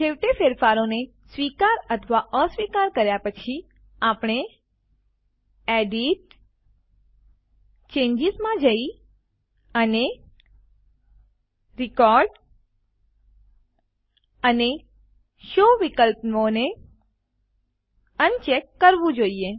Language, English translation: Gujarati, Finally, after accepting or rejecting changes, we should go to EDIT CHANGES and uncheck Record and Show options